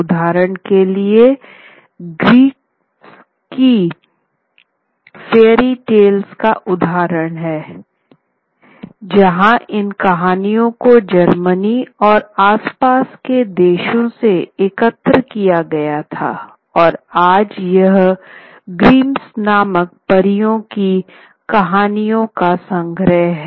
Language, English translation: Hindi, For example, the Grimm's story fairy tales is one example where these stories were collected from around Germany and adjacent areas